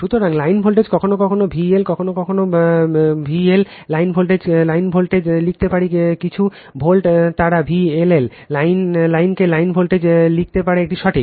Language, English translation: Bengali, So, line voltages sometimes V L sometimes you call sometimes you write V L line to line voltage some volt they may write V LL line to line voltage it is correct right